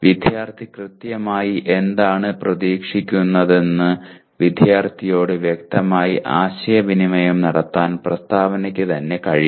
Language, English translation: Malayalam, The statement itself should be able to clearly communicate to the student what exactly the student is expected to do